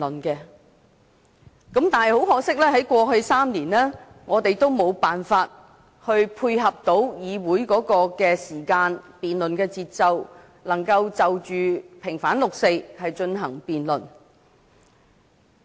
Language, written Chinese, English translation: Cantonese, 但是，很可惜，在過去3年，我們都無法配合議會的時間和辯論的節奏，可以在6月4日前就平反六四進行辯論。, But unfortunately over the past three years we could not match the schedule of the Legislative Council and the pace of debates to conduct a debate motion on vindicating the 4 June incident before 4 June